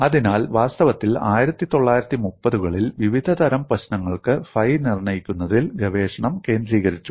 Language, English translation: Malayalam, So, in fact in 1930's, the research was focused on determining phi for various types of problems